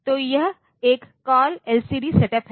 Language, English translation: Hindi, So, this a call LCD setup